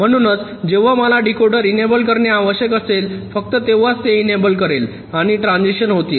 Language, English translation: Marathi, so only when i require to enable the decoder, only then this will be enabled and the transitions will take place